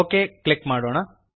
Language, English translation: Kannada, Let us click OK